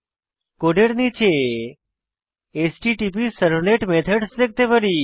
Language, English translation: Bengali, At the bottom of the code, we can see HttpServlet methods